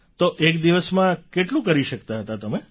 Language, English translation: Gujarati, So, in a day, how much could you manage